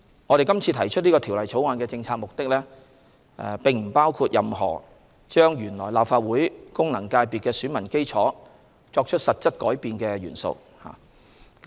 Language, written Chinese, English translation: Cantonese, 我們今次提出《條例草案》的政策目的並不包括對原來立法會功能界別的選民基礎作出實質改變。, The policy purpose of the Bill we introduced this time around does not include making substantive changes to the electorate of FCs